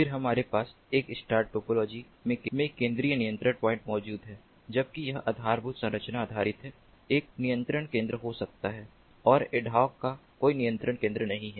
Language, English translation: Hindi, then we have the central control point present in a star topology, whereas it is infrastructure based, may have a control center and ad hoc has no central control center